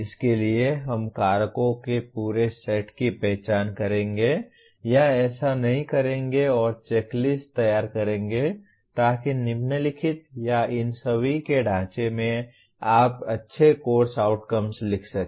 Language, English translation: Hindi, Towards this we will identify whole set of factors or do’s and don’ts and prepare the check list so that following or in the framework of all this you can write good course outcomes